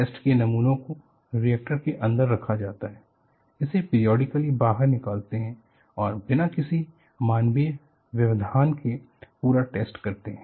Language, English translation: Hindi, So, they have to take out the material periodically, test specimens are kept inside the reactor, take out periodically and conduct the complete test, without any human intervention